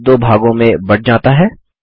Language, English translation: Hindi, The ground is divided into two